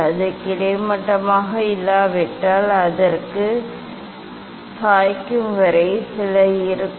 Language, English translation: Tamil, if it is not perfectly horizontal so; that means, there will be some till tilting